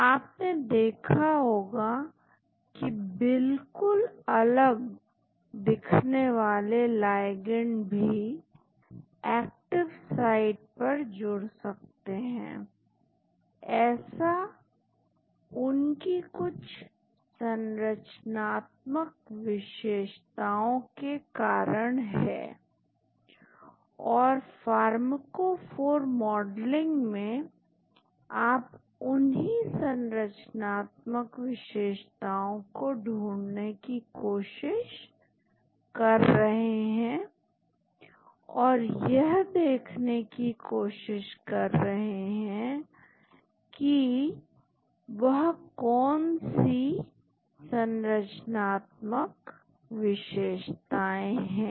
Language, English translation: Hindi, You might have seen that completely different looking ligands can bind to active site, which is because of certain structural features and in pharmacophore modeling you are trying to identify those structural features and try to see what are those important structural features